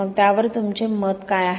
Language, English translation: Marathi, So what is your opinion on that